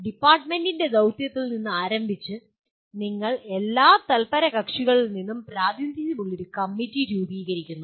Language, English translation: Malayalam, And starting with the mission of the department and you constitute a committee with representation from all stakeholders